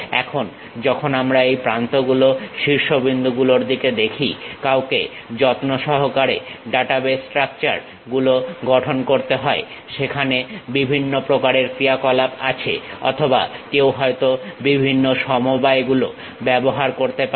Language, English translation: Bengali, Now, when we are looking at these edges, vertices careful database structures one has to construct; there are different kind of operations or perhaps combinations one can use